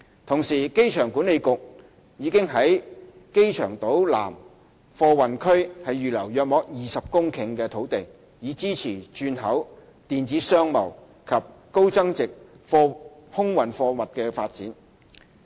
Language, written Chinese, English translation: Cantonese, 同時，機場管理局已於機場島南貨運區預留約20公頃的土地，以支持轉口、電子商貿及高增值空運貨物的發展。, At the same time the Airport Authority AA has reserved about 20 hectares of land in the South Cargo Precinct of the Airport Island for supporting the development of transshipment e - commerce and high value - added air cargo services